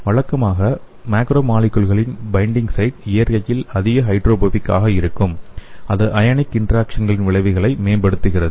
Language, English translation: Tamil, Usually the binding site of macromolecules are more hydrophobic in nature which enhances the effects of an ionic interaction